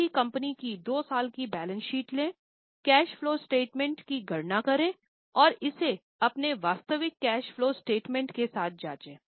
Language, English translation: Hindi, Take two years balance sheet for any company, calculate the cash flow statement and check it with their actual cash flow statement